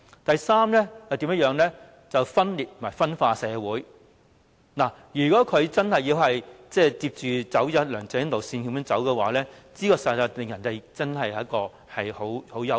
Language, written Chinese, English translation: Cantonese, 第三，分裂和分化社會，如果她真的要跟着梁振英的路線走，實在令人感到相當憂慮。, Third splitting up and dividing society . If she really holds onto LEUNG Chun - yings line we will certainly be very worried